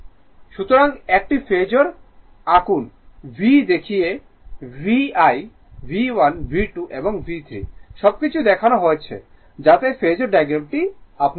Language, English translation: Bengali, So, please draw phasor showing V showing VI V1 V2 and V3 everything right